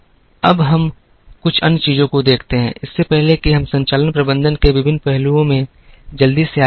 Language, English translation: Hindi, Now, let us look at a couple of other things, before we quickly move into the various aspects of operations management